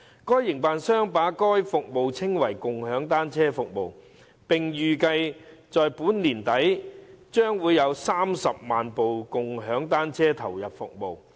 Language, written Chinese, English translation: Cantonese, 該營辦商把該服務稱為共享單車服務，並預計到本年年底將有30萬部共享單車投入服務。, The operator has named such service as the bike - sharing service and expects to have 300 000 shared bicycles coming on stream by the end of this year